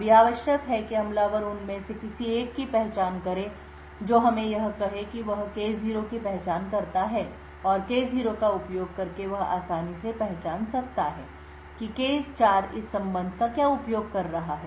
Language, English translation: Hindi, Now all that is required is the attacker identifies any one of them that is let us say he identifies K0 and using that K0 he can easily identify what K4 is using this relationship